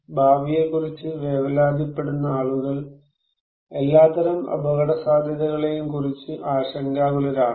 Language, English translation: Malayalam, People who worry about the future, do those people worry equally about all kind of risk